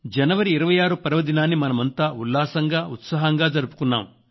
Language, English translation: Telugu, Fellow Citizens, we all celebrated the 26th January with a lot of zeal and enthusiasm